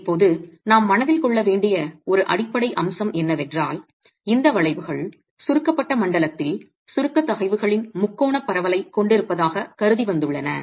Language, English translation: Tamil, Now one fundamental aspect that we must keep in mind is that these curves have been arrived at assuming we have a triangular distribution of compressive stresses in the compressed zone